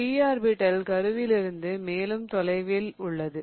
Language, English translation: Tamil, The P orbital is further away from the nucleus